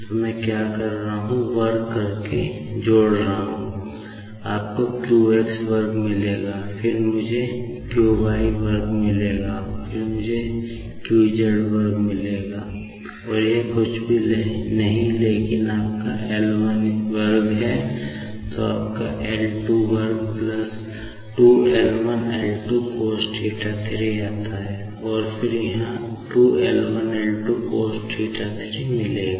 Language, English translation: Hindi, So, what I do is, by squaring and adding, you will be getting q x square, then I will be getting q y square, then I will be getting q z square and that is nothing but is your L 1 square then comes your L 2 square plus 2 L 1 L 2 cos of theta 3